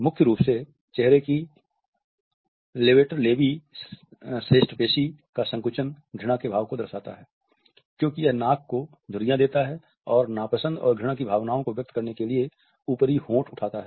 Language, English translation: Hindi, The levator labii superioris muscle is the main facial contraction of disgust as it wrinkles the nose and raises the upper lip to express feelings of dislike and revulsion